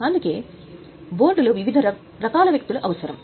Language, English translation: Telugu, That's why on the board you need different type of people